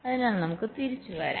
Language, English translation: Malayalam, ok, so let us come back